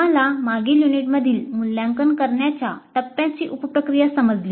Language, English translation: Marathi, We understood the sub process of evaluate phase in the last unit